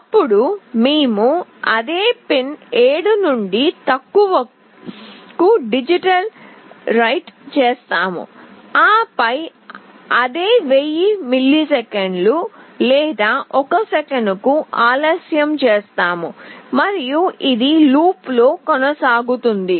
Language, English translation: Telugu, Then we do a digitalWrite to the same pin 7 to low, and then we delay it for again the same 1000 milliseconds or 1 second, and this goes on in a loop